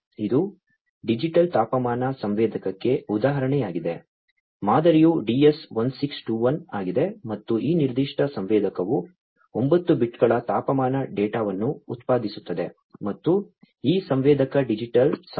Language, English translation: Kannada, So, this is an example of a digital temperature sensor, the model is DS1621 and this particular sensor will generate 9 bits of temperature data 9 bits of temperature data this one and this sensor digital sensor operates in the range 2